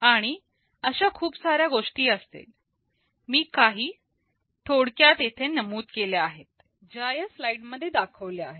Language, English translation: Marathi, And there can be many more such things, I have only listed a few of them